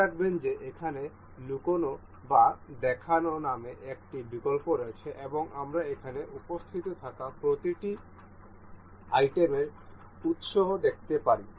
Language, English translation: Bengali, Note that there is a option called hide or show here and we can see the origins of each of the items being here present here